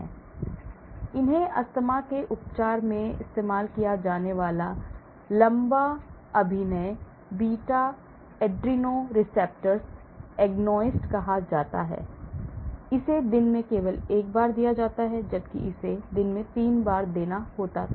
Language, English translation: Hindi, so these are called long acting beta adrenoceptor agonist used in the treatment of asthma, it is given only once a day , whereas this has to be given 3 times a day